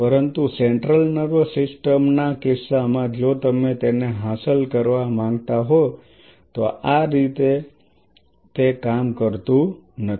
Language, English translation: Gujarati, But in the case of central nervous system if you want to achieve it this does not work like that